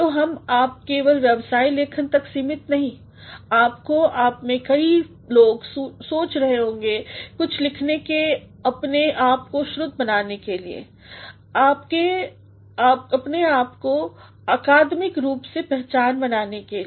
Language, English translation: Hindi, So, we you are not confined simply to business writing; you also have to many of you might be thinking of writing something in terms of making yourself heard making yourself being recognized academically